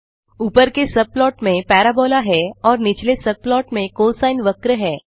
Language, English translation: Hindi, The top subplot holds a parabola and the bottom subplot holds a cosine curve